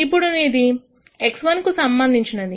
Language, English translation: Telugu, Now, this is with respect to variable x 1